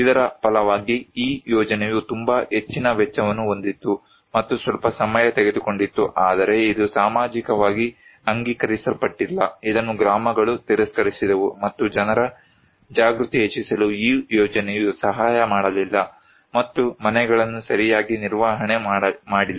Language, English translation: Kannada, As a result, this project was very high cost and took some time but it was most way that socially not accepted, it was rejected by the villages and the project did not help to enhance people's awareness and the houses are poorly maintained